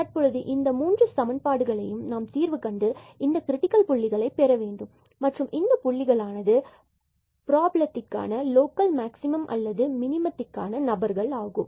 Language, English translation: Tamil, So now, we have to solve these 3 equations to get the points to get the critical points and those points will be the candidates for the local for the maximum or the minimum of the problem